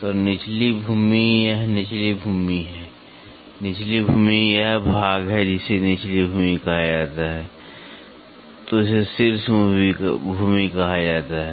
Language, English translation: Hindi, So, bottom land, this is bottom land; bottom land is this portion this is called as bottom land this is called as top land